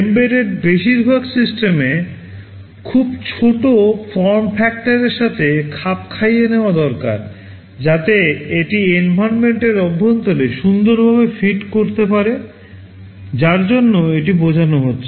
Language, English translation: Bengali, Most of the embedded systems need to conform to a very small form factor, so that it can fit nicely inside the environment for which it is meant